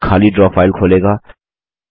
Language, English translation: Hindi, This will open an empty Draw file